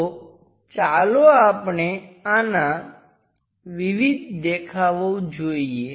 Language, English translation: Gujarati, So, let us look at the various views of this